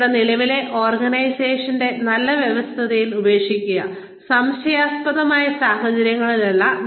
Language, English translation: Malayalam, Leave your current organization on good terms, and not under questionable circumstances